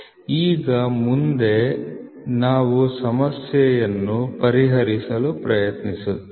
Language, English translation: Kannada, So, now, next we will try to solve the problem